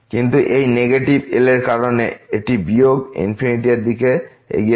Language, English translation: Bengali, But because of this negative , this will approach to minus infinity